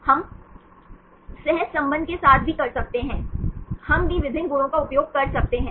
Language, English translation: Hindi, We can also do with the correlation the also we can use different properties